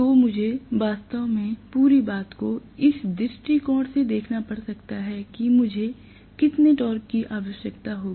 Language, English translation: Hindi, So, I might have to actually look at the whole thing in the viewpoint of how much torque I will require